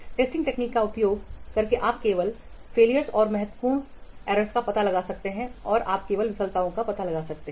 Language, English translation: Hindi, By using the testing technique you can only detect the failures and the significant, okay and you can only detect the failures